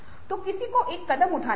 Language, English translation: Hindi, so somebody had to take a step